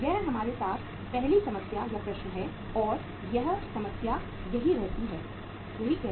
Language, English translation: Hindi, This is the first problem with us and this problem says that